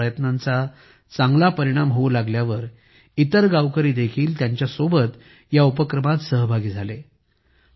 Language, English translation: Marathi, When his efforts started yielding better results, the villagers also joined him